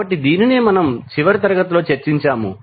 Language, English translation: Telugu, So, this is what we discuss in the last class